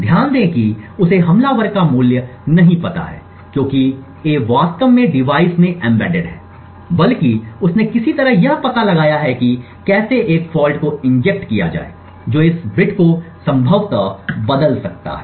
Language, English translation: Hindi, Note that he attacker has does not know the value of a because a is actually embedded into the device in the device but rather he somehow has figured out how to inject a fault that could potentially change this bit